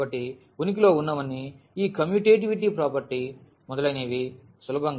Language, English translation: Telugu, So, all those existence all this commutativity property etcetera one can easily verify